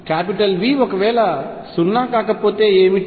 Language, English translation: Telugu, What if V is not 0